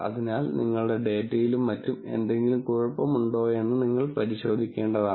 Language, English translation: Malayalam, So, you might want to go and check whether there is anything wrong with your data and so on